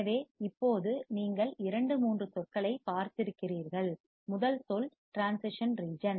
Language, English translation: Tamil, So, now you have seen two three words, first word is transition region